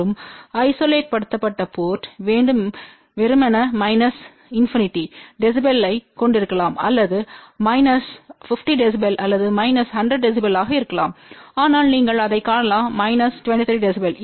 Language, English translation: Tamil, And isolated port should have ideally minus infinity db or may be minus 50 db or minus 100 db , but you can see it is only minus 23 db